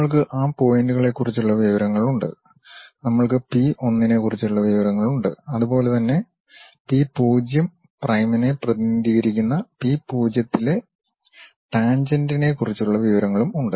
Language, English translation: Malayalam, We have information about that point, we have information about p 1 and similarly we have information about the tangent at p0, which we are representing p0 prime